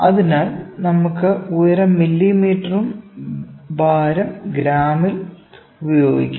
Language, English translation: Malayalam, So, I can use a height may be is in mm weight is in grams